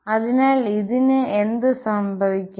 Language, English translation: Malayalam, So, what is that mean